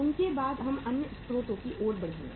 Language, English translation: Hindi, Then we will be moving to the other sources of funds